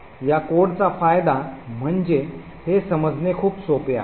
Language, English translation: Marathi, The advantage of this code is that it is very simple to understand